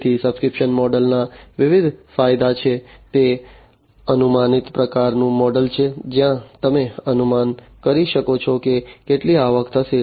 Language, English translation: Gujarati, So, there are different advantages of the subscription model, it is a predictable kind of model, where you can predict how much revenue is going to be generated